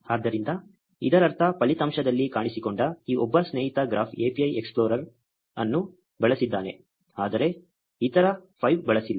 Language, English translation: Kannada, So, which means that this one friend that showed up in the result has used a graph API explorer, but the other 5 have not